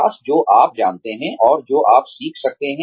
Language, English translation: Hindi, Develop, what you know, and what you can learn